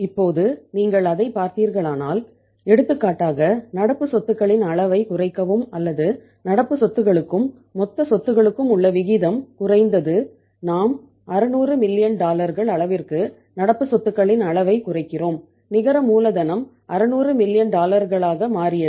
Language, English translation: Tamil, Now you look at it that for example that when we say decrease the level of current assets or the ratio of the current asset to total asset was say down and we decreased the level of current assets by say 600 million dollars